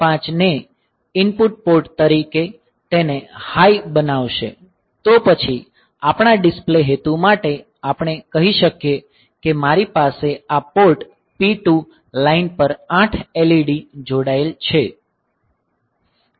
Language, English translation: Gujarati, 5 as input port by making it high, then for our display purpose we can say that that I can have 8 LEDs connected on this port P 2 lines